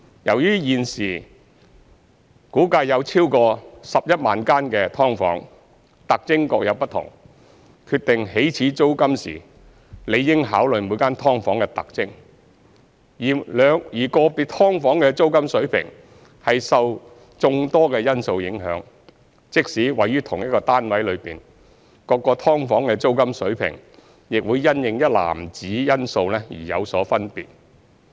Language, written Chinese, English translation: Cantonese, 由於現時估計有超過11萬間"劏房"，特徵各有不同，決定起始租金時理應考慮每間"劏房"的特徵，而個別"劏房"的租金水平受眾多因素影響，即使位於同一單位內，各間"劏房"的租金水平亦會因應一籃子因素而有所分別。, As there are currently estimated to be more than 110 000 SDUs with different characteristics the characteristics of each SDU should be taken into account when determining the initial rent . Meanwhile the rent of an individual SDU is affected by many factors and even for SDUs in the same unit their rental levels would vary according to a whole basket of factors